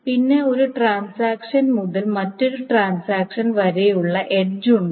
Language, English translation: Malayalam, And then there is an edge from transaction Ti to transaction T